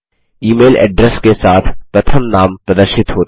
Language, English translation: Hindi, The First Names along with the email address are displayed